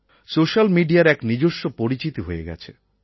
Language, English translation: Bengali, Social media has created an identity of its own